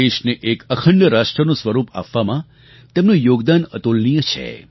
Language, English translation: Gujarati, His contribution in giving a unified texture to the nation is without parallel